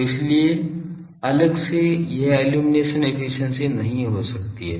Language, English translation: Hindi, So, that is why separately this illumination efficiency cannot be a thing